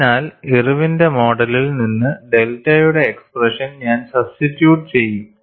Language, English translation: Malayalam, So, I will substitute the expression for delta from Irwin’s model